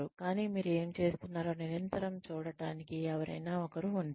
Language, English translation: Telugu, But, there is somebody, who is constantly watching, what you are doing